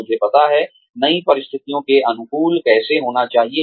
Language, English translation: Hindi, I know, how to adapt to new situations